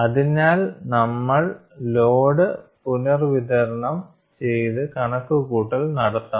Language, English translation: Malayalam, So, we have to go and try to redistribute the load and make the calculation